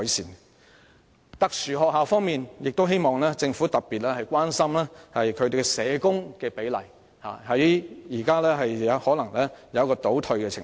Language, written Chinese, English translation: Cantonese, 在特殊學校方面，我希望政府特別關注社工比例，因為目前可能正出現倒退情況。, With regard to special schools I hope that the Government will pay particular attention to the proportion of social workers because there is probably regression in the situation right now